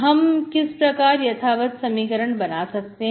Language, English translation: Hindi, So this is the original equation